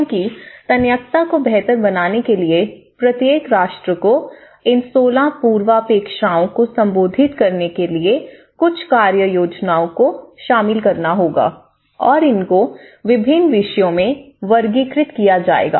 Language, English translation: Hindi, Because in order to improve the resilience each and every nation has to incorporate certain action plans in order to address these 16 prerequisites and how these are grouped into different themes